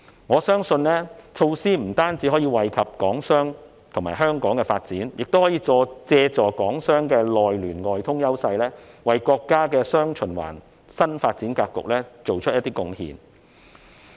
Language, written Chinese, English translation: Cantonese, 我相信措施不僅可以惠及港商和香港的發展，港商的內聯外通優勢，亦可以為國家的"雙循環"新發展格局作出貢獻。, I believe that this initiative will be beneficial to Hong Kong enterprises and our development and will also enable Hong Kong enterprises to make contribution to the countrys new development pattern of dual circulation with their strengths in domestic and international connections